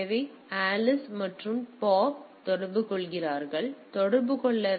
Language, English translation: Tamil, So, it is Alice and Bob are communicated; so, to communicating